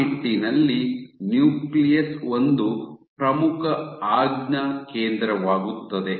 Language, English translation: Kannada, So, in that regard the nucleus becomes an important command center